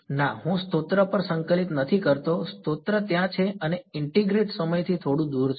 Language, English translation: Gujarati, No I am not integrating over the source the source is there and some small distance away from a time integrating